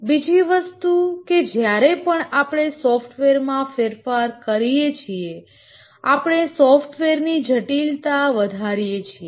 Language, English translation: Gujarati, The second thing is that each time we make a change to a software, the greater becomes its complexity